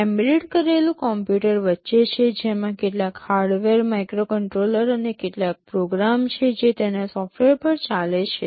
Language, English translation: Gujarati, The embedded computer is sitting in the middle, which has some hardware, the microcontroller and some program which is running on its software